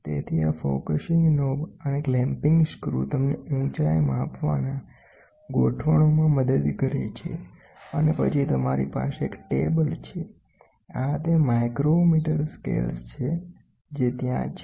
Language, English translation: Gujarati, So, this focusing knob and the clamping screw helps you to for height measurement adjustments and then you have a table, these are the micrometre scales which are there